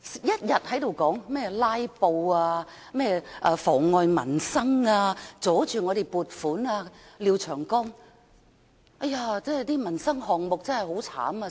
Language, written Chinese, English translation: Cantonese, 一天到晚也有人說，"拉布"妨礙民生、阻礙撥款，例如廖長江議員說：民生項目真的被"拉"得很慘等。, Meanwhile people keep on saying filibuster is a hindrance to livelihood development as it impedes funding allocation . Mr Martin LIAO for instance has said that livelihood issues are indeed affected by filibuster badly